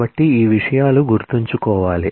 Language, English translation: Telugu, So, these things will have to remember